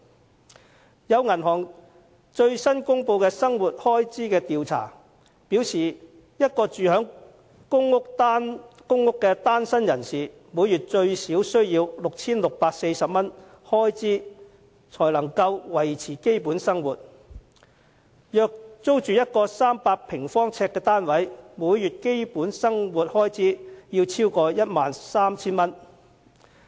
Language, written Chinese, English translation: Cantonese, 根據一家銀行最新公布的生活開支調查，一名住在公屋的單身人士，每月最少需 6,640 元開支才能維持基本生活，但若租住一個300平方呎單位，每月基本生活開支便會超過 13,000 元。, According to a living expenses survey published recently by a bank a singleton has to spend at least 6,640 monthly to maintain his basic living if he lives in a public rental housing unit but more than 13,000 monthly to meet basic needs if he rents a 300 - sq ft unit